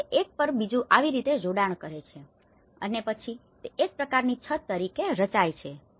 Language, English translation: Gujarati, So, it couples one over the another and then it forms as a kind of roof